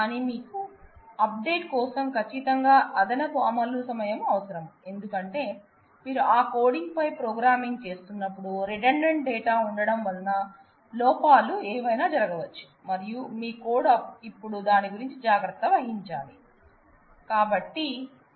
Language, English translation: Telugu, But you need extra space, exact extra execution time for update, because you have redundant data you have redundancy while programming on that coding on that, because of this redundancy there could be possibility of error, because any of these anomalies can happen and your code will have to now take care of that